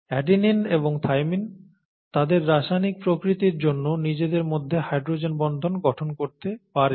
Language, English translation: Bengali, Adenine and thymine by their very nature, by the very chemical nature can form hydrogen bonds between these two, okay